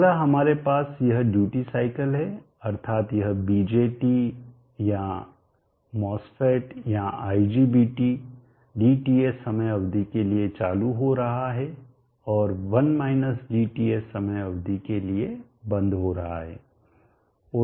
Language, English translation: Hindi, So it comes period of period, next we have this duty cycle that is the starts of BJT or IBGT is switching on for DTS time period and switching off for a 1 DTS time period